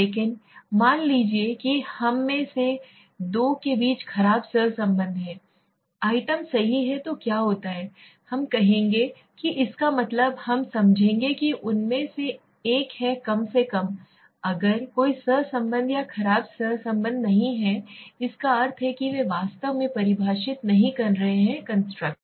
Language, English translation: Hindi, But suppose there is the poor correlation between let s say, two of this items right then what happens, we will say that means we will understand that one of them is at least, if there is no correlation or poor correlation that means they are not exactly defining the construct